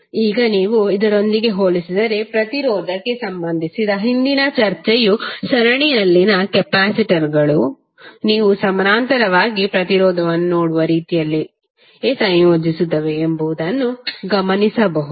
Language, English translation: Kannada, Now if you compare with the, the previous discussion related to resistance you can observe that capacitors in series combine in the same manner as you see resistance in the parallel